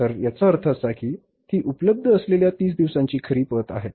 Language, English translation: Marathi, So, it means it's actual credit of 30 days which is available